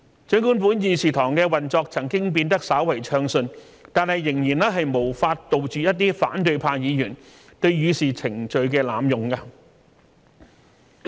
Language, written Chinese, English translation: Cantonese, 儘管本議事堂的運作曾經變得稍為暢順，但仍然無法杜絕一些反對派議員對議事程序的濫用。, Although the operation of our Council has become smoother afterwards it is still unable to prevent abuse of procedure by some Members of the opposition camp